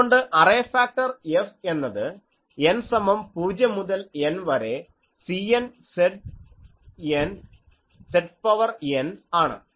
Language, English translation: Malayalam, So, array factor is F is equal to n is equal to 0 to N C n Z to the power n